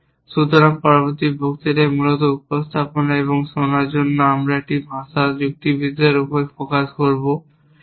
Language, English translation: Bengali, So, next will lecture will focus on logic as a language for representation and listening essentially